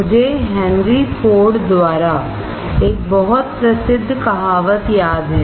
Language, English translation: Hindi, I recall a very famous saying by Henry Ford